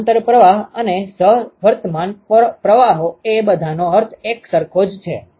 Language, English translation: Gujarati, Parallel flow and co current flow they all mean the same ok